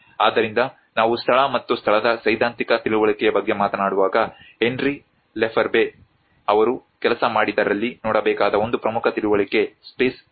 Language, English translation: Kannada, So, when we talk about the theoretical understanding of the place and space, one of the important understanding one has to look at the Henry Lefebvre works the production of space